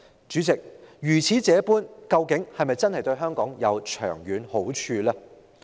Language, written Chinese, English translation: Cantonese, 主席，如此這般，究竟是否真的對香港有長遠的好處呢？, President are these actions in the interest of Hong Kong long term?